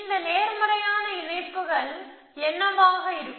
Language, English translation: Tamil, What are these positive links going to be